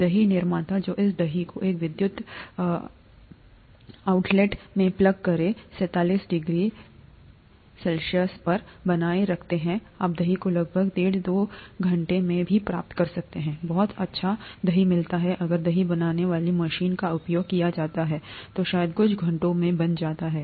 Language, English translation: Hindi, The curd makers that maintain this curd at 37 degree C by plugging it into an electrical outlet you can even get curd in about an hour and a half hours, two hours; very nice curd gets formed in maybe a couple of hours, if a curd maker is used